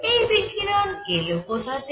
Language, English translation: Bengali, Where does this radiation come from